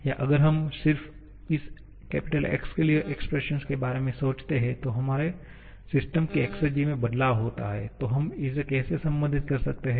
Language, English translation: Hindi, Now, what is the expression for this psi or if we just think about the expression for this X, the change in the exergy of our system, then how we can relate this